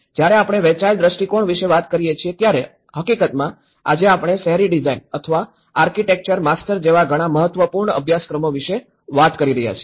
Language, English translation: Gujarati, When we talk about the shared visions, in fact, today, we are talking about many important courses like urban design or architecture masters